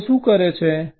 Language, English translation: Gujarati, so what people do